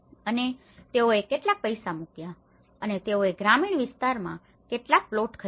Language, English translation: Gujarati, And they put some money and they bought some plots in the rural area